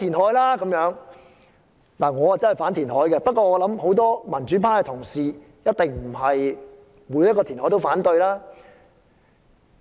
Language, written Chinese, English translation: Cantonese, 我本人確是反對填海，但我相信很多民主派同事一定不會凡填海必反。, I do oppose reclamation but I believe many democratic colleagues may not oppose all reclamation proposals